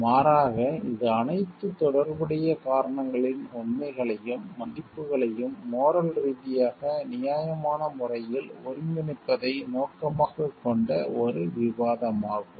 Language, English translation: Tamil, Instead it is a deliberation aimed at integrating all the relevant reasons, facts and values in morally reasonable manner